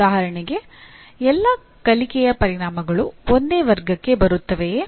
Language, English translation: Kannada, For example will all learning outcomes come under the same category